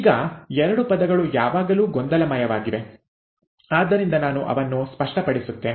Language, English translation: Kannada, Now, there are two terms which are always confusing, so let me clarify that